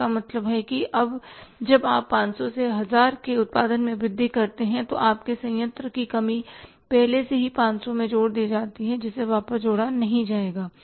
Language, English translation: Hindi, So it means now when you increase the production from 500 to 1000 your plant depreciation is already added into 500 that will not be further added back